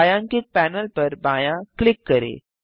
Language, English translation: Hindi, Left click the shaded panel